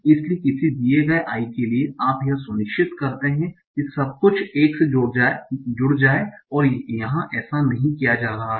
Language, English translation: Hindi, So for a given I, you make sure that everything adds up to 1 and that is not being done here